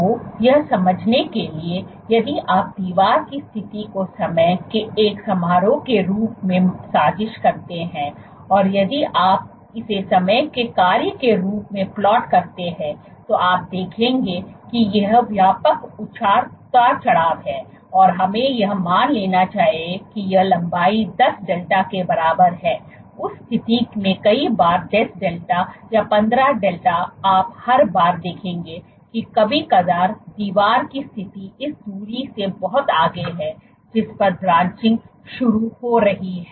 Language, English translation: Hindi, So, to understand that if you plot the position of the wall, as a function of time; so, if you plot it as a function of time you will see these wide fluctuations are there and let us assume that this length is equal to either 10 delta, in that case multiple number of times 10 delta or 15 delta you will see every once in a while the position of the wall is much beyond this distance at which branching is triggered